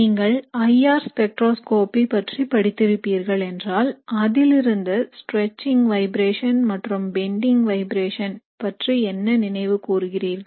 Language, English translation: Tamil, So if you have studied spectroscopy, IR spectroscopy, what do you remember in terms of the stretching vibration and the bending vibrations